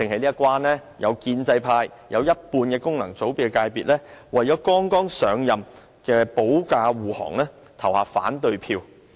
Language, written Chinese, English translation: Cantonese, 有建制派及一半功能界別議員為了剛上任的特首保駕護航，投下反對票。, Pro - establishment Members and half of the Members returned by functional constituencies voted against the motion in order to defend the new Chief Executive